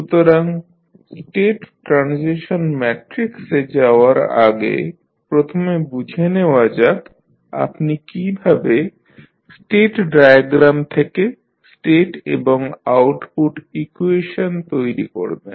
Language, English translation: Bengali, So, before going into the state transition matrix, let us first understand how you will create the state and output equations from the state diagram